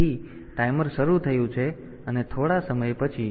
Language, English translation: Gujarati, So, timer has started and after some time